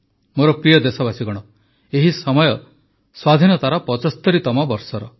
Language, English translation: Odia, This is the time of the 75th year of our Independence